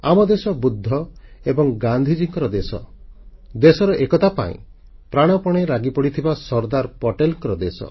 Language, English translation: Odia, Ours is the country of Buddha and Gandhi, it is the land of Sardar Patel who gave up his all for the unity of the nation